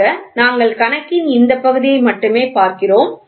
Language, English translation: Tamil, So, we are just looking at only this parts of the problem